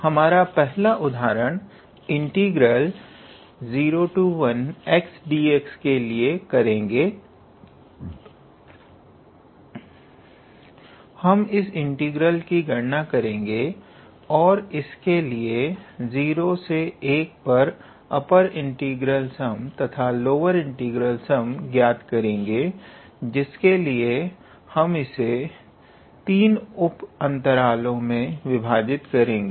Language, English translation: Hindi, So, our 1st example is; for the integral 0 to 1 x d x, we will calculate so for the integral this, find the upper and lower integral sum, lower integral sum on 0 comma 1 by dividing it into 3 sub intervals